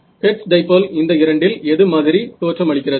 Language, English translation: Tamil, So, hertz dipole looks more like a which of the two does it look like